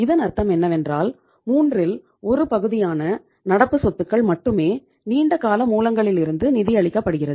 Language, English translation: Tamil, 33:1 it means only one third of your current assets are being financed from the long term sources